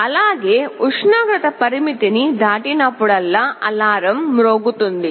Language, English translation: Telugu, Also, whenever the temperature crosses a threshold, the alarm will sound